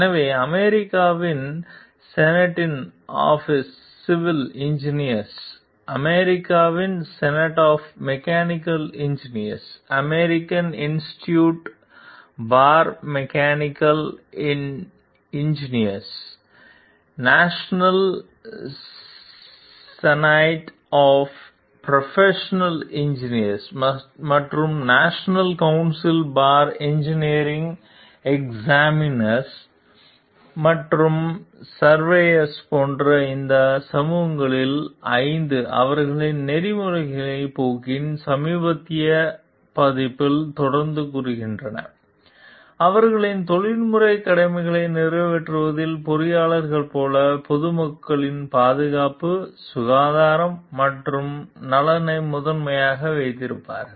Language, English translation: Tamil, So, like 5 of these societies like American Society of Civil Engineers, American Society of Mechanical Engineers, American Institute for Chemical Engineers, National Society of Professional Engineers and National Council for Engineering Examiners and Surveyors, continue to say in the latest version of their course of ethics; like engineers in the fulfillment of their professional duties shall hold paramount the safety, health and welfare of the public